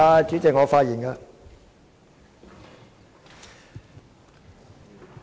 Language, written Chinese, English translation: Cantonese, 主席，我發言了。, Chairman I am speaking